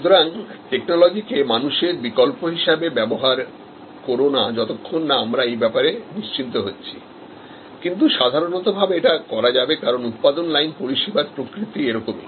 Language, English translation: Bengali, So, do not substitute people with technology, if you are not sure about this part, but in general, because of the nature of the production line service